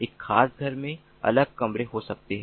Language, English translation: Hindi, in a particular home there could be different rooms